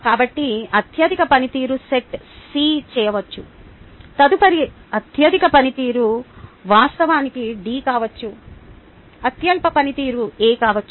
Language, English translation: Telugu, ok, so a ah, the highest performance could be set c, the next highest performance could be actually d, the lowest performance could be a, and so on, so forth